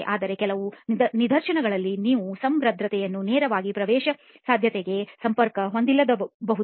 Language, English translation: Kannada, But then in some instances you may have the porosity not directly being linked to the permeability